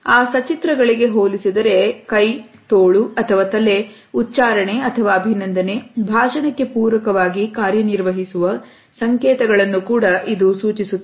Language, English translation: Kannada, In comparison to that illustrators imply those hand, arm, or head, signals that function to accent or compliment speech